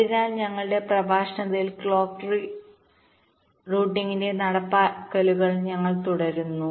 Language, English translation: Malayalam, so we continue with other implementations of clock tree routing in our next lecture